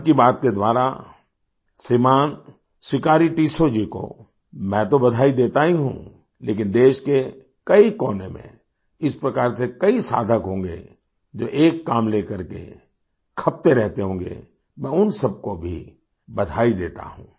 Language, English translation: Hindi, I of course congratulate Shriman Sikari Tissau ji through 'Mann Ki Baat', but in many corners of the country, there will be many seekers like this slogging in such initiatives and I also congratulate them all